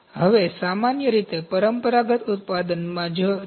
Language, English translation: Gujarati, Now, this is generally in traditional manufacturing